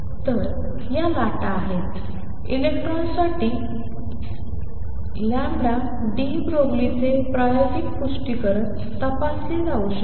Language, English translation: Marathi, So, these are the waves the experimental confirmation of lambda de Broglie for electron can be checked